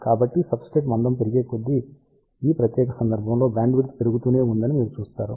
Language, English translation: Telugu, So, you can see that as substrate thickness increases, for this particular case let us say bandwidth keeps on increasing